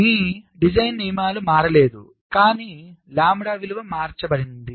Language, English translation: Telugu, so your design rules have not changed, but the value of lambda has changed